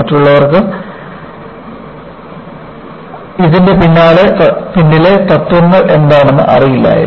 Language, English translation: Malayalam, Others were not knowing, what are the principles behind it